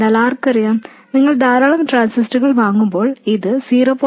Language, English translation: Malayalam, But who knows when you buy many transistors it could be 0